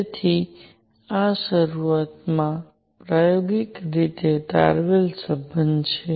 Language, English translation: Gujarati, So, this is an initially experimentally derived relation